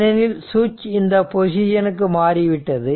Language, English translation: Tamil, So, now switch has moved from this position to that position right